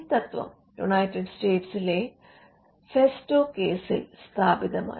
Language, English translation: Malayalam, So, this principle was established in the festo case in the United States